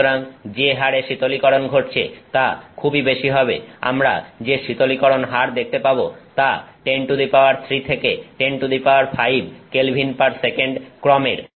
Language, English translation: Bengali, So, the cooling rates they get are huge, the cooling rates we are looking at is off the order of 103 to 105 K/s